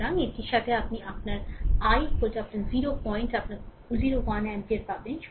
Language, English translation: Bengali, So, right with that you will get your i is equal to your 0 point your 0 1 ampere right